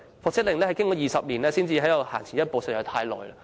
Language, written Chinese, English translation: Cantonese, 復職令經過20年才能前行一步，僱員已經等了太久。, It has taken 20 years for the reinstatement order to take a step forward and employees have been waiting far too long